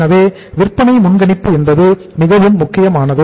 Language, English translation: Tamil, So sales forecasting is very very important